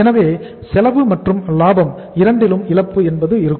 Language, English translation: Tamil, So loss is the of both, cost as well as of the profit